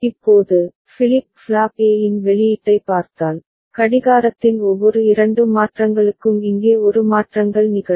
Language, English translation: Tamil, Now, if you look at the output of flip flop A right, you can see for every two changes in clock one changes happening here